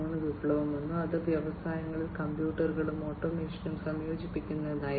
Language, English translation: Malayalam, 0 revolution, which was about the incorporation of computers and automation in the industries